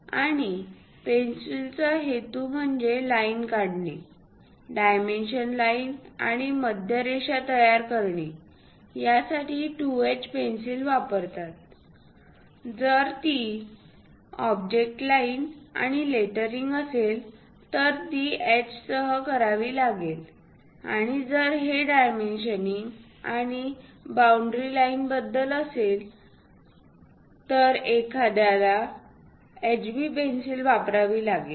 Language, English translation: Marathi, And purpose of the pencil to construct lines, perhaps dimension lines and center lines constructed using 2H; if it is object lines and lettering, it has to be done with H and if it is something about dimensioning and boundary lines, one has to use HB pencil